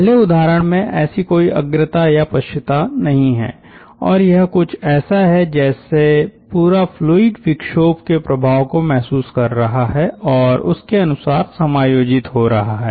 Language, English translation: Hindi, the first case: there is no such lead or lag and it is like the entire fluid is feeling the effect of the disturbance and getting adjusted to that